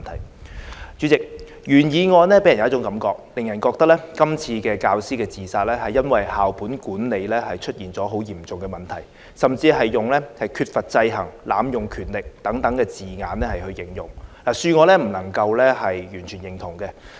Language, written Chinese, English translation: Cantonese, 代理主席，原議案給人一種感覺，即這次教師自殺是因為校本管理出現很嚴重的問題，甚至用了"缺乏制衡"和"濫用權力"等字眼來形容，恕我不能完全認同。, Deputy President the original motion gives people an impression that this teachers suicide was caused by the serious problems in the school - based management system as expressions like a lack of check and balance and abuse of powers are used in the motion . With all due respect I cannot totally agree with this view